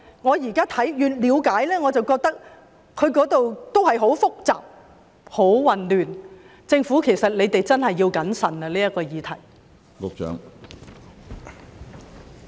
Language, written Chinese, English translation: Cantonese, 我現在越了解便越認為當中很複雜、很混亂，政府真的要謹慎處理這個議題。, The more I understand the situation now the more I find it complicated and chaotic . The Government really has to handle this issue cautiously